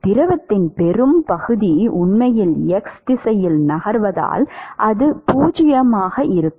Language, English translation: Tamil, It will be 0 because most of the fluid is actually moving in the x direction